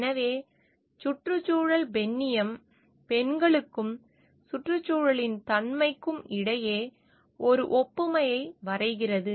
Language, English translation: Tamil, So, ecofeminism draws a analogy between women and the nature of environment